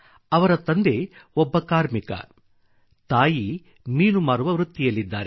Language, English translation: Kannada, Her father is a labourer and mother a fishseller